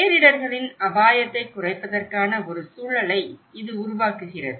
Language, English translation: Tamil, It is a creating and enabling environment for reducing disasters risk